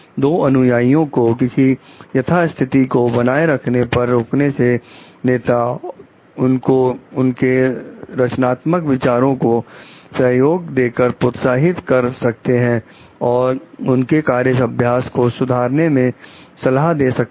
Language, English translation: Hindi, So, rather than restricting the followers to the existing status quo, leader, leaders should like stimulate them by extending support to come up with creative ideas and suggestions to improve the work practices